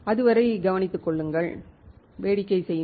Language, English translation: Tamil, Till then take care, have fun